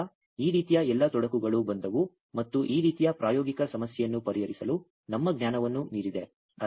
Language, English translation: Kannada, So, all this kind of complications came and it was beyond our knowledge to actually address this kind of practical problem